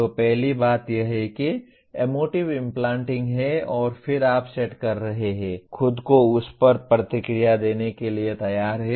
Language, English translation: Hindi, So first thing is emotive implanting and then you are setting, readying yourself for responding to that